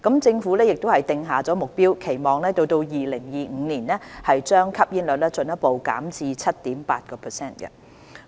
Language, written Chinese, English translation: Cantonese, 政府亦已訂下目標，期望到2025年把吸煙率進一步減至 7.8%。, The Government has also laid down the target of further reducing smoking prevalence to 7.8 % by 2025